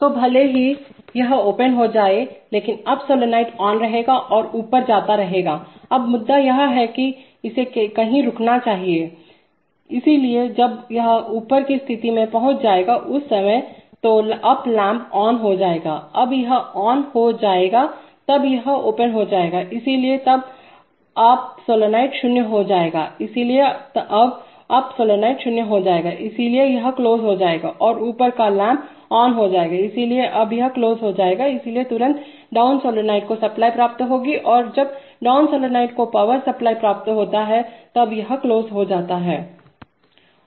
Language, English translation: Hindi, So even if it opens but the up solenoid will be on and keep going up, now the point is that it must stop somewhere, so when it will reach the uppermost position at that time, the up lamp will glow, when this will be glowing this will become open, so then the up solenoid will become zero, so now the up solenoid becomes zero, so therefore this is closed and the up lamp has glown, has glown, so this is now closed, so immediately the down solenoid will now get supply